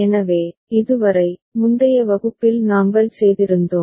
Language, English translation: Tamil, So, up to this, we had done in the previous class right